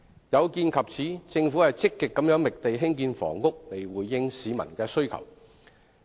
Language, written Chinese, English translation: Cantonese, 有見及此，政府積極覓地興建房屋以回應市民的需求。, In view of this the Government has been actively identifying sites for housing construction to meet the peoples needs